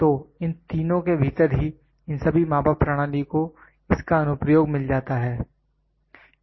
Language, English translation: Hindi, So, within these three only all these measured system finds its application